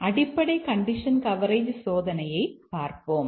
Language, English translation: Tamil, Let's look at the basic condition coverage testing